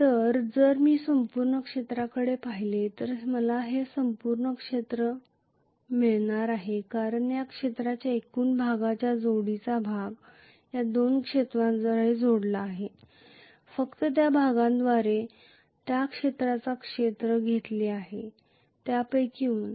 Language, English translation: Marathi, So if I look at the entire area, I am getting this entire area as the total area which is enclosed by the summation of these two, minus whatever is the area that is actually taken up only by this portion